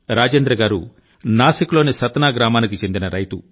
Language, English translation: Telugu, Rajendra ji is a farmer from Satna village in Nasik